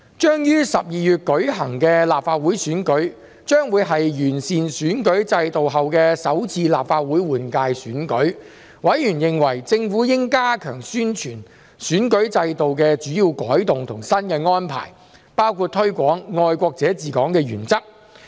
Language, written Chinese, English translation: Cantonese, 將於12月舉行的立法會選舉，將會是完善選舉制度後的首次立法會換屆選舉，委員認為政府應加強宣傳選舉制度的主要改動及新的安排，包括推廣"愛國者治港"原則。, The Legislative Council Election to be held in December will be the first Legislative Council General Election after the improvement of the electoral system . Members considered that the Government should step up publicity on the major changes to the electoral system and the new arrangements including promotion of the principle of patriots administering Hong Kong